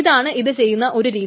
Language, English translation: Malayalam, So that's one way of doing